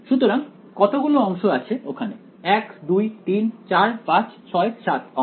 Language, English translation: Bengali, So, so how many segments are there 1 2 3 4 5 6 7 segments